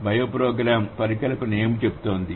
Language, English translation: Telugu, What does the bioprogram hypothesis say